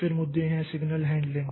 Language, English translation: Hindi, Then there are issues with signal handling